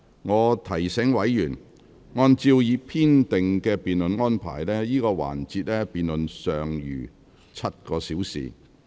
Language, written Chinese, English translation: Cantonese, 我提醒委員，按照已編定的辯論安排，這個環節的辯論尚餘7個小時便結束。, I would like to remind Members that in accordance with the scheduled debate arrangement the debate of this session will end in seven hours